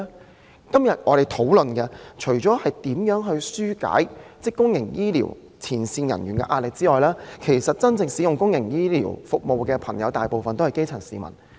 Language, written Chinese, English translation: Cantonese, 我們今天討論如何紓解公營醫療前線人員的壓力，而使用公營醫療服務的其實大部分是基層市民。, Today we are discussing ways to alleviate the pressure of frontline personnel in the public healthcare sector . And most public healthcare service users are actually grass - roots people